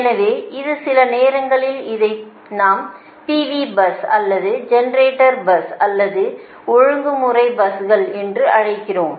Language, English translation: Tamil, sometimes we call p v bus, right, or generator buses or regulated buses, right